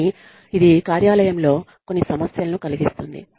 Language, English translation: Telugu, But, this can cause, some problems, in the workplace